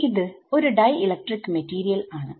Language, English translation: Malayalam, So, for dielectric material